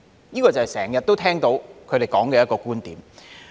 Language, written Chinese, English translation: Cantonese, 這就是他們經常說的一個觀點。, This is the viewpoint they often talk about